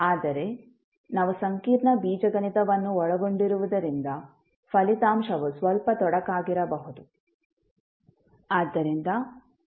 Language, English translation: Kannada, But since we have a complex Algebra involved, the result may be a little bit cumbersome